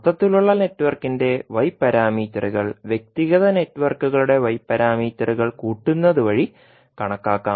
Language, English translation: Malayalam, So the Y parameters of overall network can be calculated as summing the individual Y parameters of the individual networks